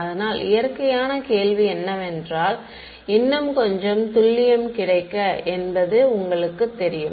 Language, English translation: Tamil, So, the natural question is that you know is there available to get little bit more accuracy ok